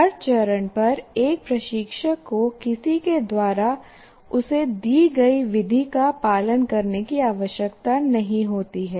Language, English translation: Hindi, And at every stage an instructor doesn't have to follow a method that is given to him by someone